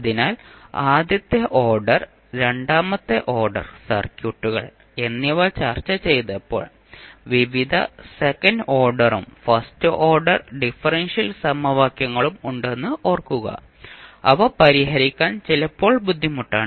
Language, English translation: Malayalam, So, remember if we, when we discussed the first order, second order circuits, we saw that there were, various second order and first order differential equations, which are sometimes difficult to solve